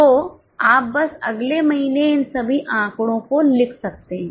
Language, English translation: Hindi, So, you can just write in the next month all these figures